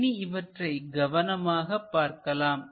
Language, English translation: Tamil, So, let us look at this carefully